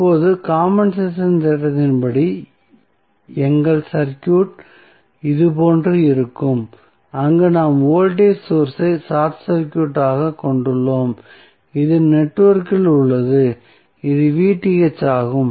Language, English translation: Tamil, So, now, as per compensation theorem our circuit would be like this, where we are short circuiting the voltage source which is there in the network in this case it was Vth